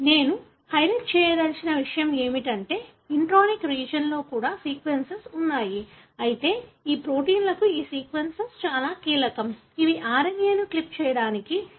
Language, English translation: Telugu, What I would like to highlight is that there are sequences even that are present in the intronic region, but these sequence are very, very critical for these proteins, which help in cleaving or cutting the RNA